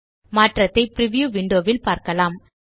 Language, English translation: Tamil, You can see the change in the preview window